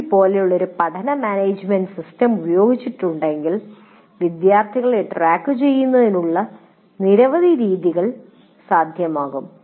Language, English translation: Malayalam, And if a learning management system like Moodle is used, many methods of tracking of students will be possible